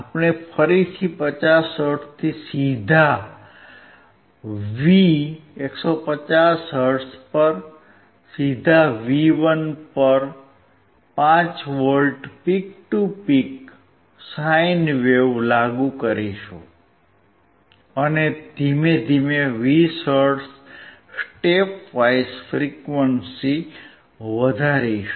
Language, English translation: Gujarati, We will again apply a 5 V peak to peak sine wave from 50 hertz directly at V 150 hertz directly at V1 and slowly increase the frequency at steps of 20 hertz